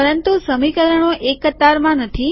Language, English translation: Gujarati, But the equations are not aligned